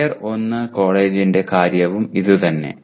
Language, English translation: Malayalam, And the same thing for Tier 1 college